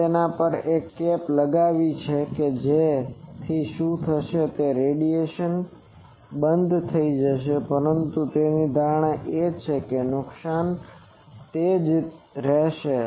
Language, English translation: Gujarati, You put a cap on that so what will happen the radiation will get stopped, but his assumption is the loss will remain same